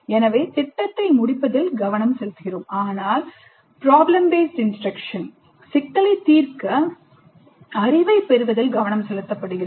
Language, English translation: Tamil, So the focus is on completion of a project whereas in PBI the focus is on acquiring knowledge to solve the problem